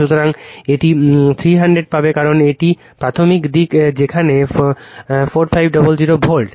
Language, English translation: Bengali, So, you will get it is 300 because it is primary side where 4500 volt